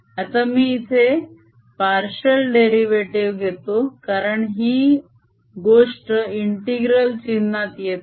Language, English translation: Marathi, now i am going to put a partial derivative here, because now is this thing is not under the integral sign anymore